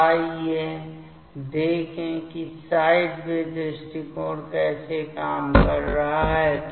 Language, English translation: Hindi, So, let us see that how the sideway approach is working